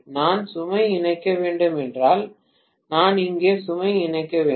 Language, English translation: Tamil, If I have to connect the load I have to connect the load here